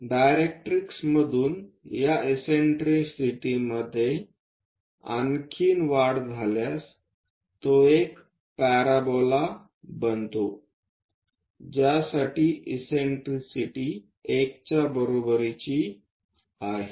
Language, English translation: Marathi, Further increase in this eccentricity from the directrix, it becomes a parabola for which eccentricity is equal to 1